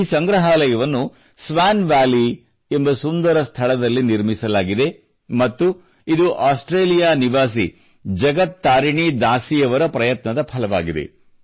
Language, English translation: Kannada, This gallery has been set up in the beautiful region of Swan Valley and it is the result of the efforts of a resident of Australia Jagat Tarini Dasi ji